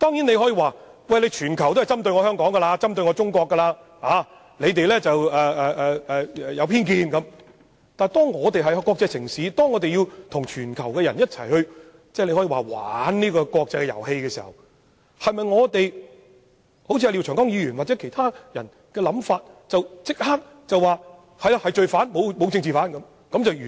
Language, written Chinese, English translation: Cantonese, 你大可辯稱全球都在針對香港和中國，對我們懷有偏見，但當香港是國際城市，要跟全球人士玩這個國際遊戲時，是否可以一如廖長江議員或其他人士所想，立即予以否認，便能讓事情了結呢？, You may put up a defense by saying that the whole world is targeting against Hong Kong and China and has prejudice against us . But when Hong Kong is an international city and needs to play this international game with the people around the world will the matter be over with a swift denial just as Mr LIAO and other people have envisioned?